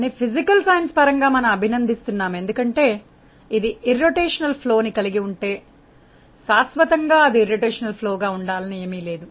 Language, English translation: Telugu, But physically we have to at least appreciate that, if it was irrotational there is no guarantee that eternally it will remain irrotational